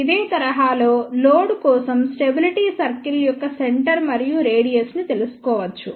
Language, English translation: Telugu, In the similar fashion one can find out the centre and radius of the stability circle for the load